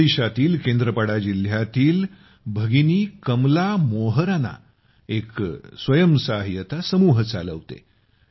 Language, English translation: Marathi, Kamala Moharana, a sister from Kendrapada district of Odisha, runs a selfhelp group